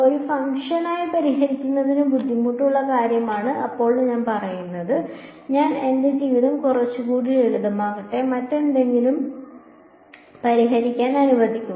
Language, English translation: Malayalam, Now I say that solving for a function is a difficult thing; let me make my life a little simpler let me now solve for something else